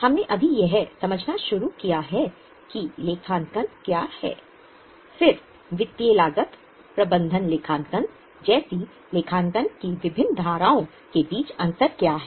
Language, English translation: Hindi, So, we had just started with understanding what is accounting, then what is a distinction between various streams of accounting like financial cost management accounting